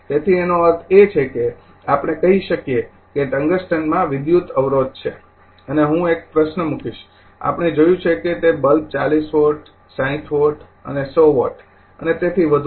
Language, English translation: Gujarati, So; that means, we can say the tungsten has an electrical resistance right and I will put a question here that we have seen that your that bulb 40 watt, 60 watt, and 100 watt and so on